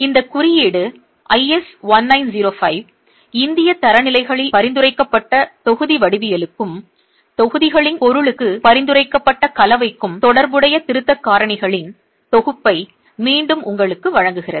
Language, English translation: Tamil, The Indian code, IS 1905, again gives you a set of correction factors which are with respect to the block geometry that is prescribed in the Indian standards and also the composition that is prescribed for the material of the blocks